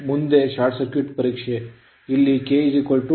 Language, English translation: Kannada, Now, short circuit test, here K is equal to 2